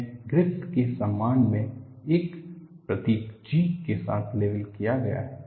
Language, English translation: Hindi, This is labeled with a symbol G in honor of Griffith